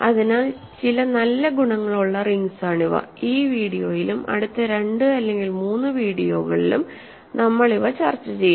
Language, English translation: Malayalam, So, the rings which have certain nice properties and we will discuss these in this video and next 2 or 3 videos ok